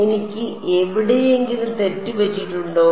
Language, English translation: Malayalam, Have I made a mistake somewhere